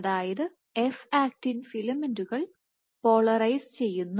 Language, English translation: Malayalam, So, F actin filaments are polarized